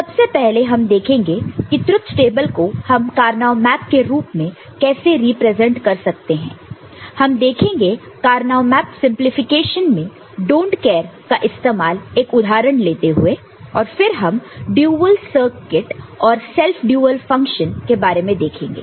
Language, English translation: Hindi, First we shall look at the how to represent a truth table in the form of a Karnaugh map and then we shall also look at use of don’t care in Karnaugh map simplification taking upon example and then we shall look at dual circuit and self dual function